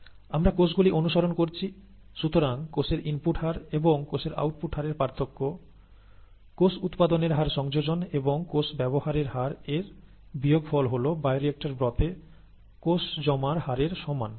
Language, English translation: Bengali, We are following cells, therefore the rate of input of cells minus the rate of output of cells plus the rate of generation of cells minus the rate of consumption of cells equals the rate of accumulation of cells in the broth, bioreactor broth